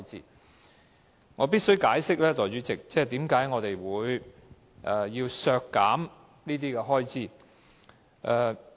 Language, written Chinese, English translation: Cantonese, 代理主席，我必須解釋，為何我們要削減這些開支。, Deputy Chairman I must explain why we propose these cutbacks in spending